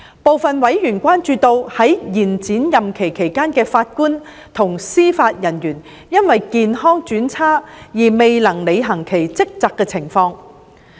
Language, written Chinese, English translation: Cantonese, 部分委員關注到在延展任期期間的法官及司法人員因為健康轉差而未能履行其職責的情況。, Some members are concerned about JJOs on extended term of office becoming incapable of carrying out their duties for health reasons